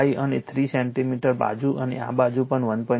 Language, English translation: Gujarati, 5 centimeter this side also 0